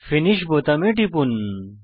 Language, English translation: Bengali, Hit the Finish button